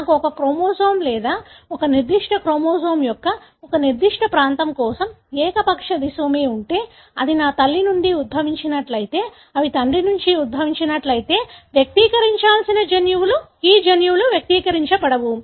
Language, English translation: Telugu, So, if I have uniparental disomy for a particular region of a chromosome or a particular chromosome, then if that is derived from my mother, those genes that should be expressed if it is derived from father, these genes will not be expressed